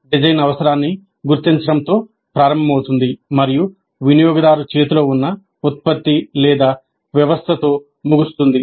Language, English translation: Telugu, The design begins with identification of a need and ends with the product or system in the hands of a user